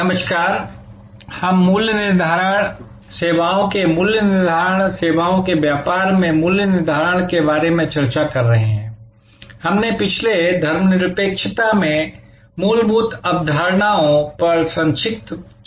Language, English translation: Hindi, Hello, so we are discussing about Pricing, Services Pricing, Pricing in the Services business, we discussed briefly the fundamental concepts in the last secession